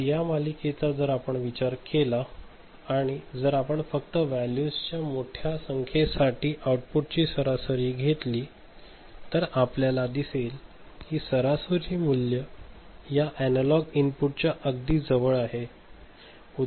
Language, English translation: Marathi, So, this series if you consider, if you just take a average of this output over here ok, for large number of these values, then you will see this average value is close to this analog input ok